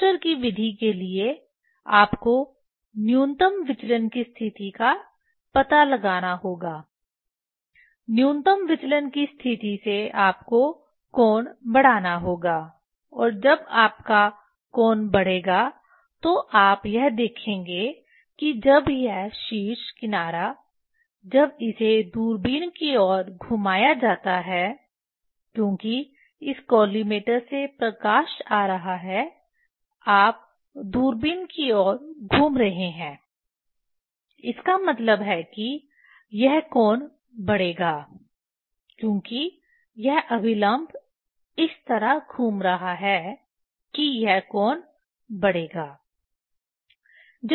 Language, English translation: Hindi, s method, you have to find out the minimum deviation position, from the minimum deviation position you have to increase the angle and when your when angle will increase, you see when this apex edge when it is rotated towards the telescope towards the telescope because this the collimator light is coming you are rotating towards the telescope means this angle will increase because this normal is rotating this way this angle will increase